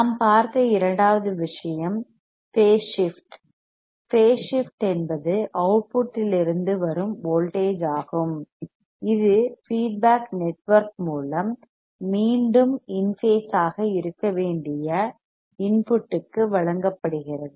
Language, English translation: Tamil, Second thing what we have seen is the phase shift; the phase shift is the voltage from the output which is fed through the feedback network back to the input that should be in phase